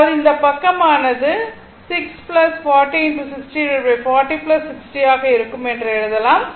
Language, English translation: Tamil, That mean, this side we can write it will be 6 plus that your 40 parallel to 60